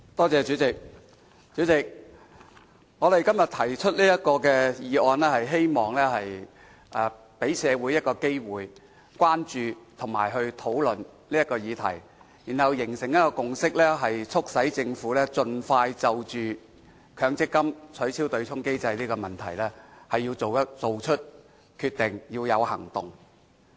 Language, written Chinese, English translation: Cantonese, 主席，我今天提出這項議案，是希望給社會一個機會關注和討論這個議題，然後形成共識，促使政府盡快就取消強制性公積金對沖機制這問題作出決定和有所行動。, President I have proposed this motion today hoping to create an opportunity for the community to express concerns about and discuss the subject and to reach a consensus thereby urging the Government to decide and take action expeditiously to abolish the Mandatory Provident Fund MPF offsetting mechanism